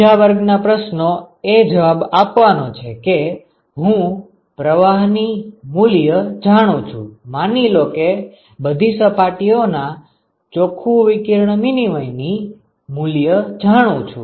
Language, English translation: Gujarati, The second class of questions you can answer is suppose I know the fluxes suppose I know qi know the net radiation exchange from every surface